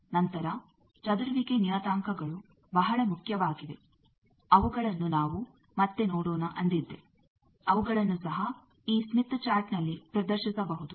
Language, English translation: Kannada, Then I said scattering parameters they are very important we will see later, they also can be displayed on this smith chart